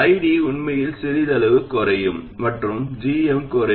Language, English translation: Tamil, ID will actually reduce slightly and GM also reduces